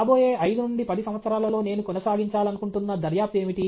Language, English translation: Telugu, What is a line of investigation I want to pursue in the next 5 to 10 years